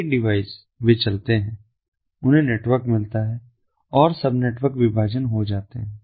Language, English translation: Hindi, they move, they get the network and the subnetworks get partitioned